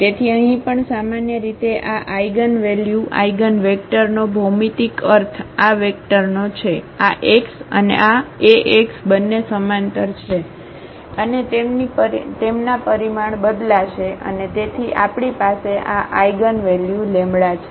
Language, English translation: Gujarati, So, here also the geometrical meaning of this eigenvalues eigenvector in general is that of this vector this x and this Ax both are parallel and their magnitude will change and therefore, we have this eigenvalue lambda